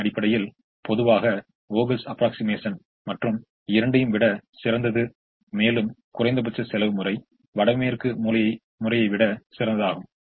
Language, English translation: Tamil, in terms of solution, generally, vogel's approximation does better than the other two and minimum cost does better than the north west corner